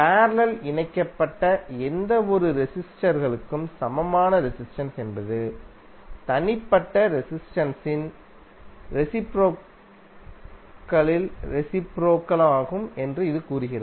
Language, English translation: Tamil, This says that equivalent resistance of any number of resistors connected in parallel is the reciprocal of the reciprocal of individual resistances